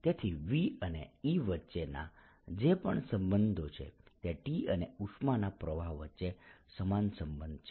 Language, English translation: Gujarati, so whatever the relationship is between v and e is the same relationship between t and the heat flow